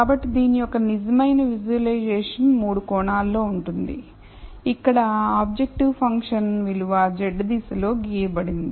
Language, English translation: Telugu, So, real visualization of this would be in 3 dimensions where the objective function value is plotted in the z direction